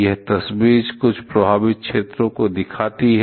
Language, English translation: Hindi, This picture shows some of the affected areas